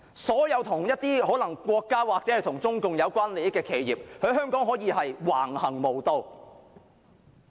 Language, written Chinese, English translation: Cantonese, 所有可能與國家或中共有關利益的企業可以在香港橫行無忌。, All enterprises which may be related to the interests of the state or the Communist Party of China can ride roughshod over others